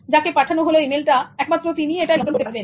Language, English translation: Bengali, And sent emails are controlled by the receiver